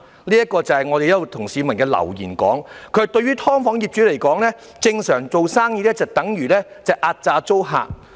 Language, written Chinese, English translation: Cantonese, 有一則來自一名市民的留言："對於'劏房'業主來說，正常做生意就等於壓榨租客"。, There is a message from a member of the public For landlords of SDUs doing business decently just means exploiting tenants